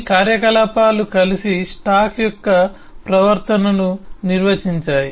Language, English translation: Telugu, these operations together define the behavior of the stack